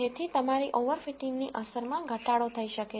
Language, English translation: Gujarati, So that your over fitting effects can be reduced